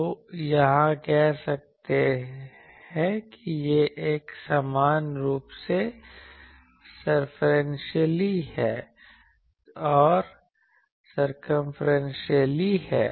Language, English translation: Hindi, So, here it says that it is uniform circumferentially